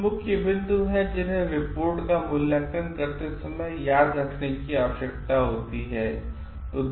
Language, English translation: Hindi, There are certain key points, which needs to be remembered while evaluating a report